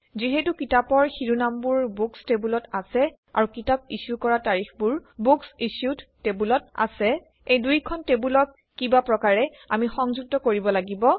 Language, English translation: Assamese, Since titles are in the Books table and the Book Issue date is in the BooksIssued table, we will need to combine these two somehow